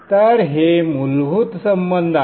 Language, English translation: Marathi, So these are a fundamental relationship